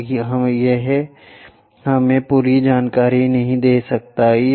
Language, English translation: Hindi, And that may not give us complete information